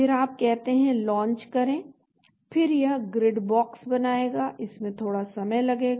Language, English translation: Hindi, then you say Launch, then it will make the Grid Box this will take little bit time